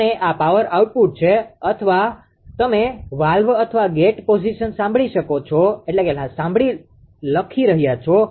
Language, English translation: Gujarati, And this is the power output and or you are writing valve or gate position listen